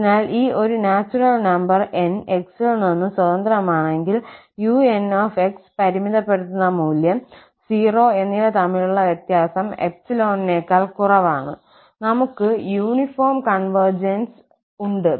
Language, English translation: Malayalam, So, if there exists a natural number N independent of x such that this difference between the un and the limiting value 0 is less than epsilon, then we have the uniform convergence